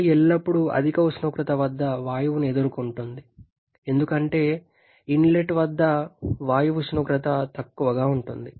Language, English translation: Telugu, Air is always encountering gas at higher temperature because at the inlet, the gas temperature is low